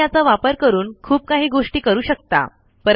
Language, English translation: Marathi, Of course you can do a lot of things with this